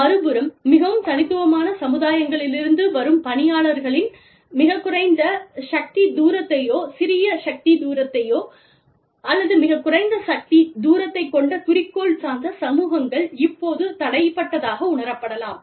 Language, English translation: Tamil, On the other hand, people coming from very individualistic societies, very goal oriented societies, with very little power distance, or with a smaller power distance, a shorter power distance, are now, are may feel cramped, and may feel restricted